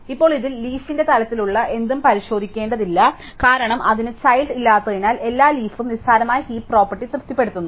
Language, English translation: Malayalam, Now, in this anything which is at the leaf level does not need to be check, because it has no children all leaves trivially satisfied the heap property